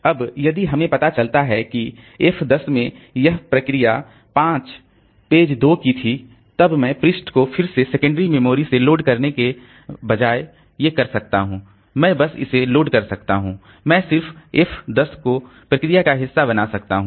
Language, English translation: Hindi, Now, if we find that in F10 this process 5 page 2 was there, then I can just instead of loading the page from the secondary storage again, I can just load it on, I can just make F10 a part of the process